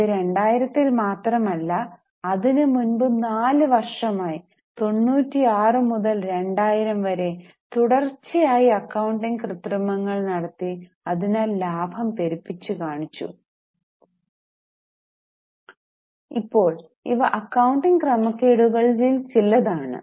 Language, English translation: Malayalam, And this was not just in 2000, this was happening in last four years from 96 to 2000, continuous accounting manipulations were done and thus profits were overstated